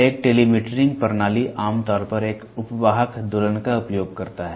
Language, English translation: Hindi, A telemetering system normally uses a subcarrier oscillator